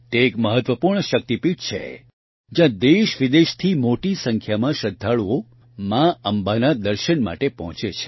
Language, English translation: Gujarati, This is an important Shakti Peeth, where a large number of devotees from India and abroad arrive to have a Darshan of Ma Ambe